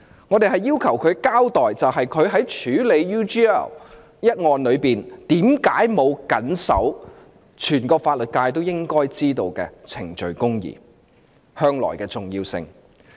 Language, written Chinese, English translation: Cantonese, 我們要求她交代她處理 UGL 一案時，為何沒有謹守全個法律界也應知道的程序公義。, We question her why in the handling of the UGL case she did not adhere to procedural justice something that is well understood by the entire legal profession